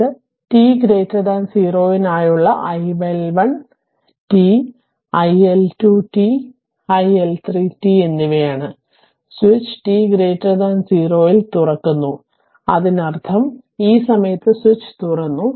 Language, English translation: Malayalam, It is the iL1 t iL2 t and i3t for t greater than 0 and switch is opened at t greater than 0; that means, at this time switch has opened right